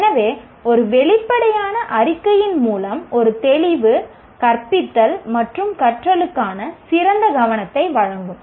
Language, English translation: Tamil, So, a clarity through an explicit statement will provide much better focus for teaching and learning